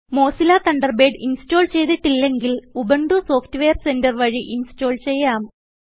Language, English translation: Malayalam, If you do not have Mozilla Thunderbird installed on your computer, you can install it by using Ubuntu Software Centre